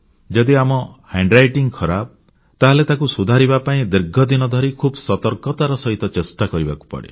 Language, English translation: Odia, If we have bad handwriting, and we want to improve it, we have to consciously practice for a long time